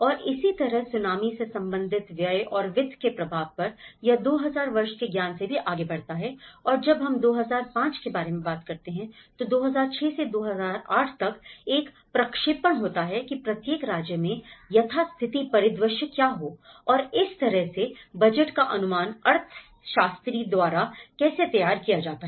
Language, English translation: Hindi, And similarly, on the impact of Tsunami related expenditures and finances, it also goes from the 2000 year wise and when we talk about 2005, that is 2006 to 2008 there is a projection that each state has status quo scenario and as well as the new scenario and that is how the budget estimates are prepared by the economist